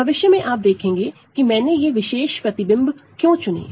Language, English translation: Hindi, So, later on you will see why I have chosen these particular images